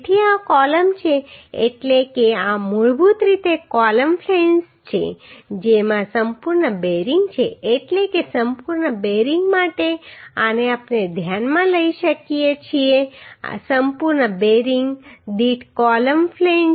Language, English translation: Gujarati, So these are the columns means these are the basically columns flanges having complete bearing means for complete bearing this is what we can consider column flange per complete bearing